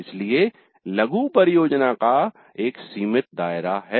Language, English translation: Hindi, So, the mini project has a limited scope